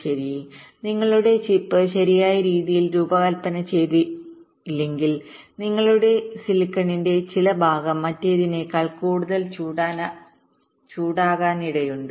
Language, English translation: Malayalam, well, if you do not design your chip in a proper way, what might happen is that some part of your silicon might get heated more than the other part